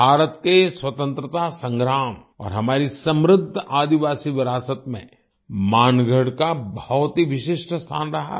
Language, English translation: Hindi, Mangarh has had a very special place in India's freedom struggle and our rich tribal heritage